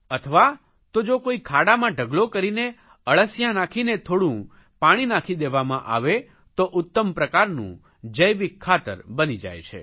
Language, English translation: Gujarati, If they are put in a pit and left with earth worms and little water, good quality organic fertilizer can be made